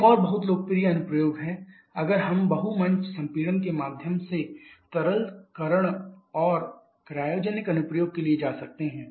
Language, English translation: Hindi, Another very popular application is if we can go for the liquification and cryogenic application through the multi stage compression